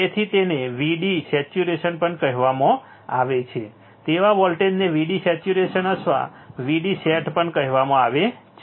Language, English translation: Gujarati, So, it is also called VD saturation right write voltage is also called VD saturation or VD set